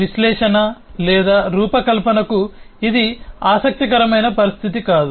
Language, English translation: Telugu, this is not an interesting situation to analysis or design